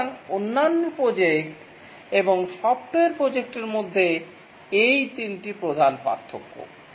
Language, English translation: Bengali, So these are the three main differences between other projects and software projects